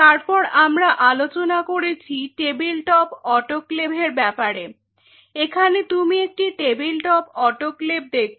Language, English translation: Bengali, Then we talked about a tabletop autoclave here you see the tabletop autoclave